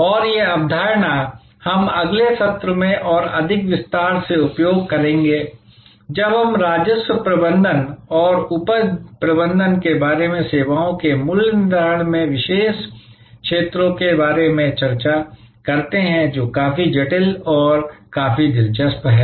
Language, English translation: Hindi, And this concept, we will utilize in more detail in the next session, when we discuss about revenue management and yield management to particular areas in services pricing, which are quite intricate and quite interesting